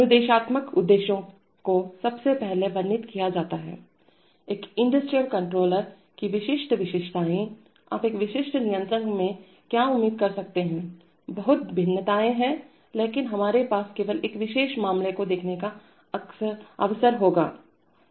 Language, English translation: Hindi, Instructional objectives are firstly described, typical features of an industrial controller, what you might expect in a typical controller, there are lots of variations, but we will only have the opportunity to look at a particular case